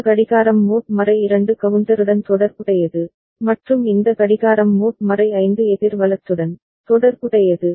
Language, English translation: Tamil, This clock is associated with mod 2 counter and this clock is associated with mod 5 counter right